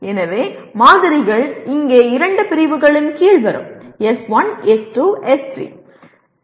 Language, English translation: Tamil, So the samples will come under two categories here; S1, S2, S3